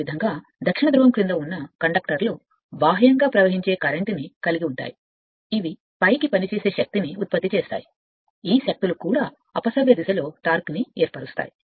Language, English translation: Telugu, Similarly the conductors under the South Pole carrying your outward flowing current which produce upward acting force these forces also give rise to the counter clockwise torque